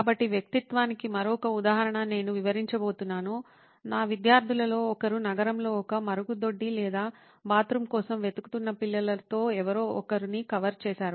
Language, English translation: Telugu, So, I am going to illustrate another example of persona that one of my students had covered of somebody with a child actually looking for a toilet or a bathroom in a city